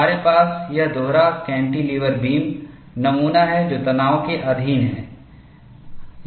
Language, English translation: Hindi, We have this double cantilever beam specimen; it is subjected to tension